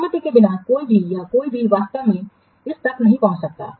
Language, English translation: Hindi, Without the permission, anybody else cannot actually assess this